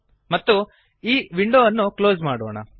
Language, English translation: Kannada, And we will close this window